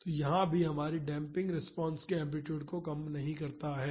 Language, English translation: Hindi, So, here also our damping does not reduce the amplitude of the response